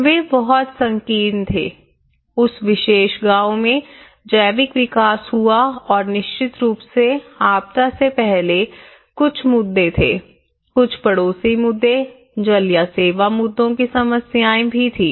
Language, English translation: Hindi, Were very narrow, very organic development happened in that particular villages and of course there was also some problems before the disaster issues, with some neighbours issues, with some water issues or the service issues